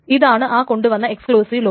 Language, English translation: Malayalam, So this is an exclusive lock that is being brought